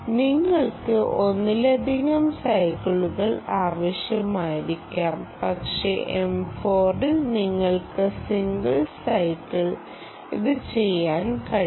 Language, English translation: Malayalam, perhaps you need multiple cycles, but m four you can do it in single cycle